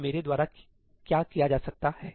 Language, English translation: Hindi, So, what can I do